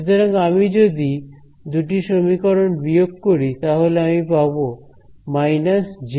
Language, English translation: Bengali, So, if I subtract these two equations what happens is I will get a minus j omega